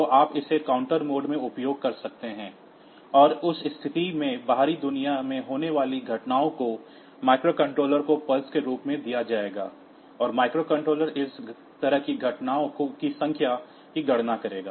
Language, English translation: Hindi, So, you can use it in counter mode, and in that case the events occurring in the outside world will be giving as pulses to the microcontroller, and the microcontroller will count the number of such events